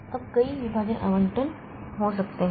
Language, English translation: Hindi, Now, there can be multiple partition allocation